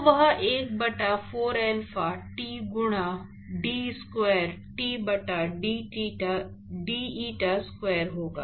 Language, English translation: Hindi, So, that will be 1 by 4 alpha t into d square t by d eta square